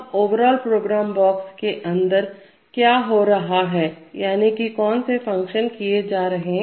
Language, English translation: Hindi, Now what happens within this overall program box, that is what are the functions which are carried out in the program